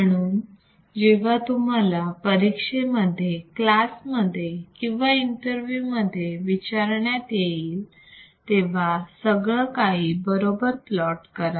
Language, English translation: Marathi, So, whenever you show in exam or in your class or in your interview, if it is asked, please plot everything correctly